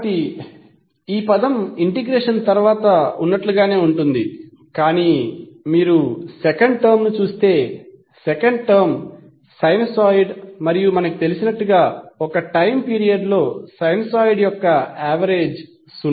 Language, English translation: Telugu, So this term will remain same as it is after integration but if you see the second term second term is sinusoid and as we know that the average of sinusoid over a time period is zero